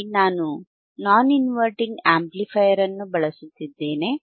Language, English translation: Kannada, Here I have am using again a non inverting amplifier, right again